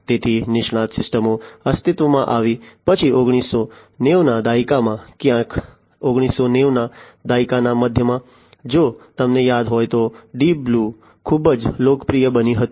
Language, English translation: Gujarati, So, expert systems came into being, then in the 1990s, somewhere in the middle; middle of 1990s if you recall the Deep Blue became very popular